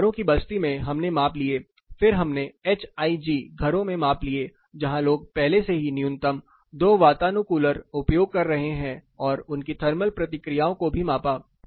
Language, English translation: Hindi, Fisherman’s colony we covered the other measurements were taken in HIG homes like you like people already are using minimum two air conditioners and their thermal responses